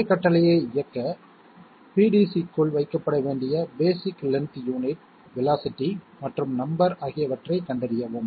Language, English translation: Tamil, Find out the basic length unit, velocity and number to be put inside PDC to execute that same command okay